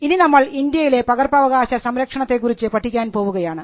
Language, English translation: Malayalam, Now let us look at Copyright protection in India